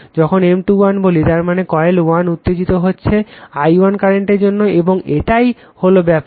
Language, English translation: Bengali, When you say M 2 1 right that means, coil 1 is excited by some current i 1 right, and that is the thing